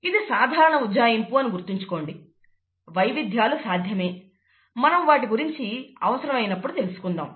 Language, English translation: Telugu, Remember that this is a simple approximation, there are variations possible, we will point them out when we come to them